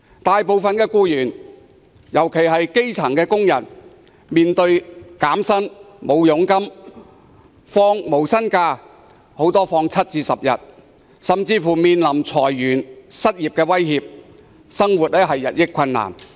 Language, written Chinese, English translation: Cantonese, 大部分僱員，尤其是基層工人要面對減薪、沒有佣金、放無薪假，甚至裁員、失業的威脅，生活日益困難。, Most of the employees especially the grass - roots workers are facing wage cut zero commission income no - pay leave or even the threat of layoff and unemployment . Their lives have been increasingly difficult